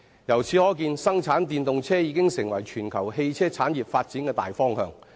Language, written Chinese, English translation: Cantonese, 由此可見，生產電動車已成為全球汽車產業發展的大方向。, It is thus obvious that the production of EVs is now the general development direction of the global automobile industry